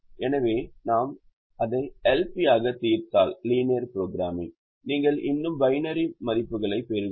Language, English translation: Tamil, so if we solve it as a l p, you will get still get binary values